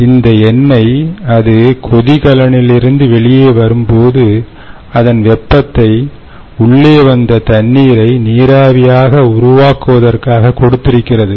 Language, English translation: Tamil, so this oil, when it comes out of the boiler, it has given up its heat to the for, for boiling the water that came in and generating the steam